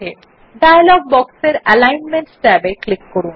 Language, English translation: Bengali, Click on the Alignment tab in the dialog box